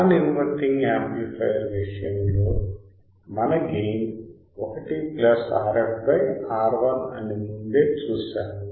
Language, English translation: Telugu, We have seen that earlier in the case of non inverting amplifier our gain is 1 plus R f by R 1